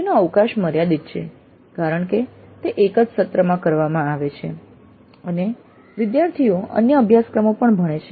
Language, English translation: Gujarati, It has a limited scope because it is done within a semester and also there are other courses through which the students go through